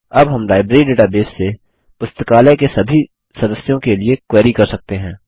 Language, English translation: Hindi, Now we can query the Library database for all the members of the Library